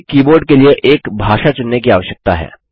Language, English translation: Hindi, We need to select a language for the keyboard